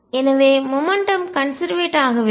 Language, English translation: Tamil, So, there is the momentum is not conserved